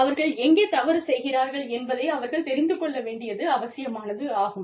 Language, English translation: Tamil, They need to know, where they are going wrong